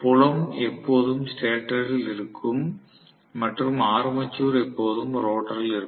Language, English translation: Tamil, I was having field was always in the stator and armature was always in the rotor right